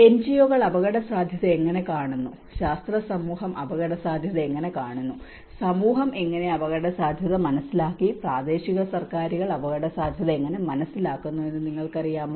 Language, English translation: Malayalam, Are you from the, you know how the NGOs perceive the risk, how the scientific community perceives the risk, how the community has perceived the risk, how the local governments perceive the risk